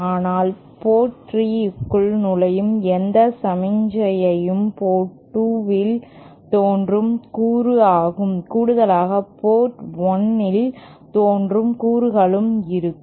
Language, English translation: Tamil, But any signal entering port 3 will also have a component appearing at port 2 in addition to the component appearing at port 1